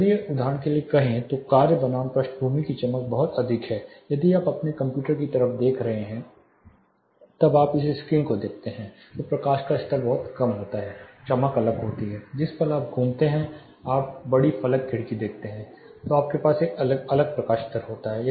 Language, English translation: Hindi, If these say for example, the task versus background the brightness is very high say if you are looking at your computer towards this side when you look at this screen the light levels are much low, the brightness is different, movement you turn out you see the large pane window then you have a different light level